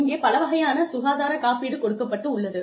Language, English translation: Tamil, We have various types of health insurance